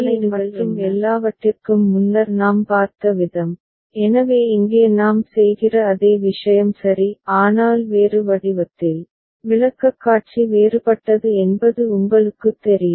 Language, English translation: Tamil, The way we had seen it before for implication table and all, so the same thing we are doing here ok; but in a different form, you know presentation is different